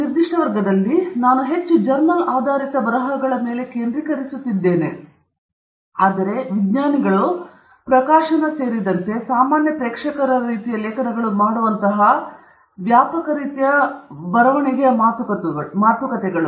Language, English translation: Kannada, In this particular class, I would focus more on journal based writing, but this talks of a much broader range of kind of writing that scientists might do including publishing in, you know, more general audience kind of articles